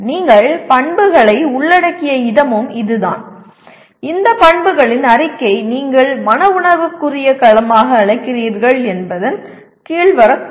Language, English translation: Tamil, And this is where you are even including attributes, which statement of these attributes may come under what you call as the affective domain as well